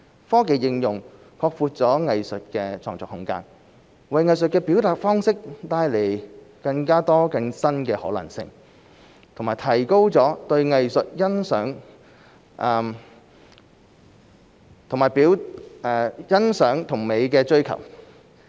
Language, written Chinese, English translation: Cantonese, 科技應用擴闊了藝術的創作空間，為藝術的表達方式帶來更多、更新的可能性，並提高了對藝術欣賞及美的追求。, The application of technology has broadened the scope of artistic creation opened up more and newer possibilities for artistic expression and enhanced the pursuit of art appreciation and beauty